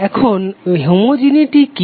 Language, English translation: Bengali, Now what is homogeneity